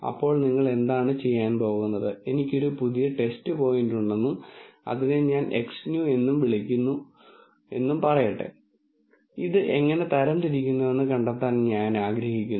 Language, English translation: Malayalam, Then what you are going to do is, let us say I have a new test point which I call it X new and I want to find out how I classify this